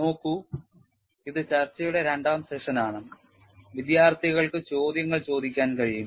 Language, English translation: Malayalam, See, this is the discussion session two and students can ask the questions